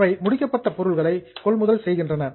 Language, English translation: Tamil, They purchase finish goods, they sell finished goods